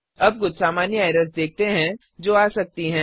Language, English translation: Hindi, Now let us move on to some common errors which we can come across